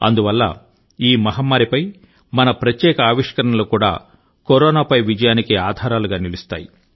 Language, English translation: Telugu, Thus, these special innovations form the firm basis of our victory over the pandemic